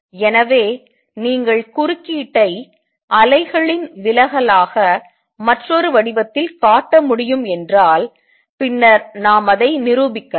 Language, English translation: Tamil, So, if you can show the interference another form of which is diffraction of these associated waves then we prove it